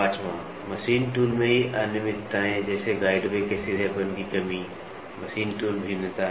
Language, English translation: Hindi, Irregularities in the machine tool itself like lack of straightness and guide and of guideways machine tool variation